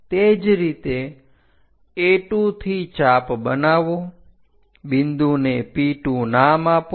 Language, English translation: Gujarati, Similarly, from A2 make an arc P2 point